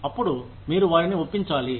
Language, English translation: Telugu, Then, you have to convince them